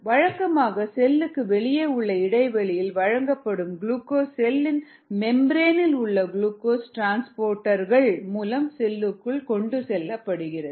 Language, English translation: Tamil, um, usually glucose, which is provided in the extra cell as space, gets transported into the cell through glucose transporters in the membrane